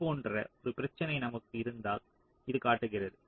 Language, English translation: Tamil, so this shows that if we have a problem like this